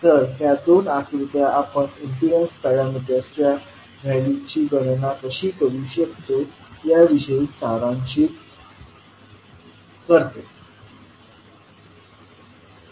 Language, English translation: Marathi, So, these two figures summarises about how we can calculate the values of impedance parameters